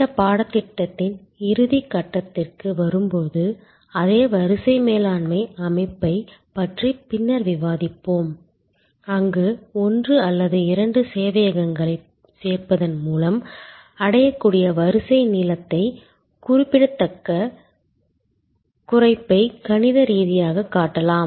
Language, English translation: Tamil, We will discuss perhaps the same queue management system later on when we come to the closing stage of this course, where we can mathematically show the significant reduction in queue length that can be achieved with simple addition of maybe one or two servers